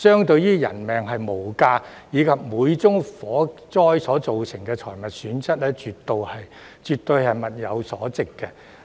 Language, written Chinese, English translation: Cantonese, 鑒於人命無價，而且每宗火災都會造成財物損失，絕對物有所值。, Since peoples lives are priceless and every fire does cause damage and loss to property the cost is absolutely worth it